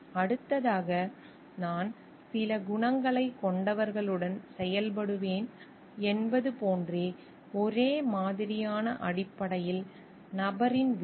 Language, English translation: Tamil, And next is the outcome of the person in terms of stereotype like, I will be functioning with people who possess certain qualities